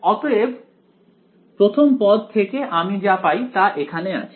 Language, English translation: Bengali, So, what do I get from the first term over here, I get